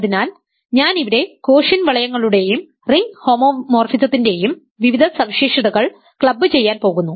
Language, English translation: Malayalam, So, I am going to club various properties of quotient rings and ring homomorphisms here